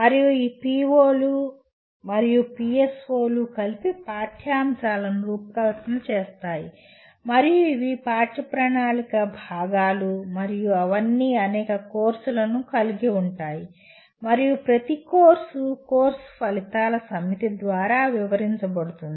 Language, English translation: Telugu, And these POs and PSOs together design the curriculum and these are the curriculum components and all of them will have or will have several courses and each course is described by a set of course outcomes